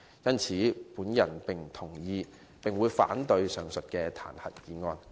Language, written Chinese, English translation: Cantonese, 我不同意並會反對這項彈劾議案。, I do not agree to this impeachment motion and I will vote against it